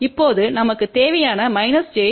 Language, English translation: Tamil, So, minus j 1